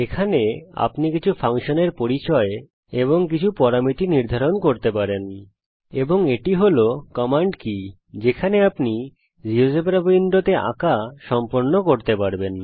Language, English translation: Bengali, Here you can introduce some functions, define some parameters and this is the command key in which you can complete drawings in the geogebra window here